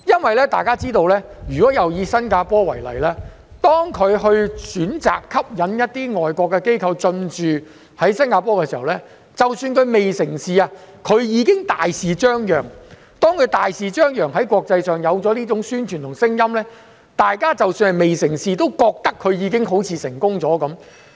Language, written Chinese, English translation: Cantonese, 大家也知道，如果再以新加坡為例，當它選擇吸引一些外國機構進駐時，即使未成事前它已經會大肆張揚，而當它大肆張揚時，在國際上便會有種宣傳和聲音，即使未成事，大家也會認為它好像已經成功了。, Everyone knows that if we take Singapore as an example again when some foreign firms are going to set up their operations in Singapore even if the matter has not been finalized the Singaporean authorities will let everyone know first . And when such loud publicity was done there would be some kind of promotional effect in the international community thus even if it failed to materialize in the end people would still think that it had been a success